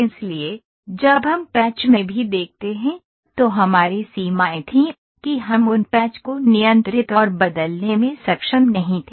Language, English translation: Hindi, So, when we look into the patch also we had limitations, that we were not able to control and change those patches